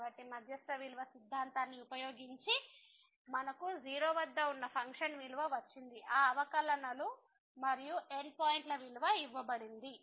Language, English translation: Telugu, So, we got the value using the mean value theorem of the function at given that those derivatives and the end points value was given